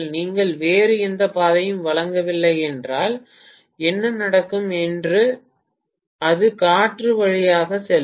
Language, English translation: Tamil, If you do not provide any other path, then what will happen is it will go through the air